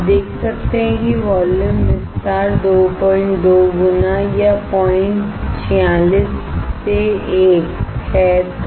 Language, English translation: Hindi, You can see that the volume expansion is 2